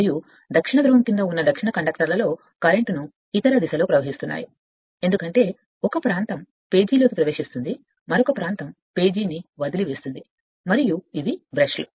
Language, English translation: Telugu, And in the south conductors under south pole carrying current in the other direction because where going into the page another region what you call leaving the page and this is the brushes right